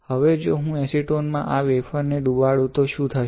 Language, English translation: Gujarati, Now if I did this wafer in acetone what will happen